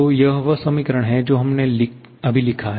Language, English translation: Hindi, So, this is the equation that we have just written